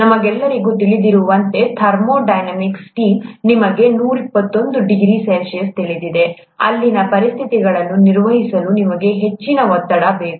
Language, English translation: Kannada, As we all know, thermodynamic steam, you know 121 degrees C, you need a higher pressure to maintain the conditions there